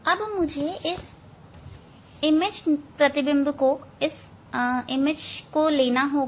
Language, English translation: Hindi, This is the position of image needle